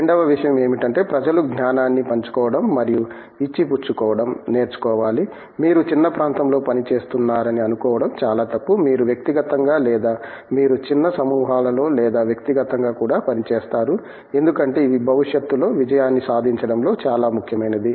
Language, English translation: Telugu, The second thing is people need to learn to share and exchange knowledge, it would be very wrong to think that you are working in a narrow area, you would rather individually or you rather work in small groups or even as individual because to me these are much more important in achieving success in a future carrier